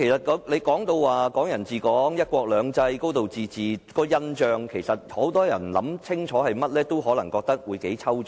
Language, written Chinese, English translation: Cantonese, "港人治港"、"一國兩制"、"高度自治"對很多人來說可能很抽象。, To many people the principles of Hong Kong people ruling Hong Kong one country two systems and a high degree of autonomy may be very abstract